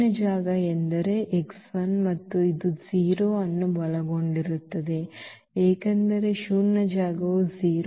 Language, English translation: Kannada, So, the null space means these x I and which includes the 0 also because the null space will also include the 0